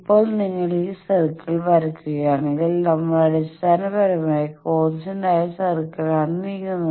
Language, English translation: Malayalam, Now if you draw this circle we are basically moving on the constant VSWR circle